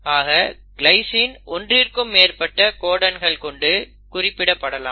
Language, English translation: Tamil, So the glycine can be coded by more than 1 codon